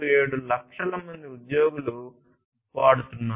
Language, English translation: Telugu, 37 lakhs employees being used